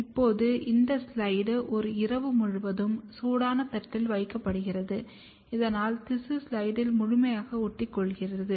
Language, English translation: Tamil, Now, this slide is kept overnight on the hot plate so, that the tissue sticks to the slide completely